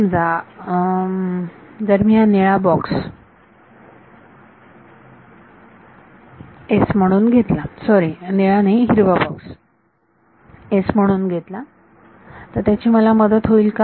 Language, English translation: Marathi, Supposing I take the blue the blue box itself to be S; sorry not blue green box itself to be S will it help me